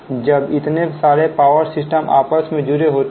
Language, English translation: Hindi, right, because many power system they are interconnected together